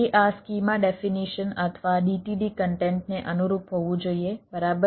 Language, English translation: Gujarati, it should conform to this schema definition or the d t d content right